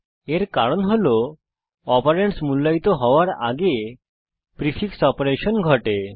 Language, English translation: Bengali, This is because a prefix operation occurs before the operand is evaluated